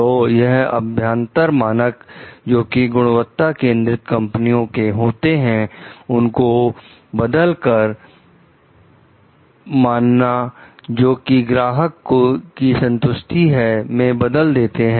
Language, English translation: Hindi, So, they replaced the internal standard of the quality oriented companies with an external standard of satisfying the customer